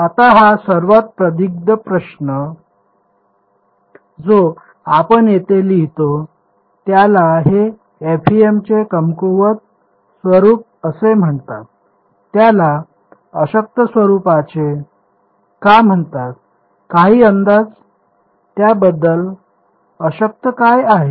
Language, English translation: Marathi, Now this longest looking question that we have written over here this is what is called the weak form of FEM why is it called the weak form any guesses what is weak about it